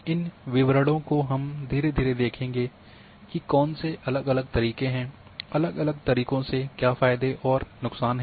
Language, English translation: Hindi, So, all these details we will see slowly slowly; what are different methods, what are the advantages and disadvantages with different methods